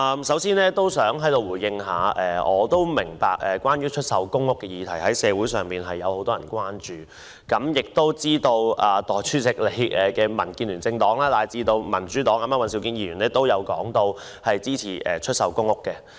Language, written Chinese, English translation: Cantonese, 首先，很多市民對出售公屋議題表示關注，我知道代理主席的政黨——民主建港協進聯盟，以及民主黨尹兆堅議員均表示支持出售公屋。, First of all many members of the public have shown concern over the sale of public rental housing PRH units . I am aware that Deputy Presidents political party the Democratic Alliance for the Betterment and Progress of Hong Kong and Mr Andrew WAN of the Democratic Party are in support of the sale of PRH units